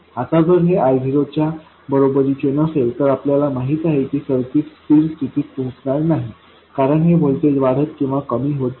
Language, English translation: Marathi, Now if it is not equal to I0, we know that the circuit won't reach steady state because this voltage will go on increasing or decreasing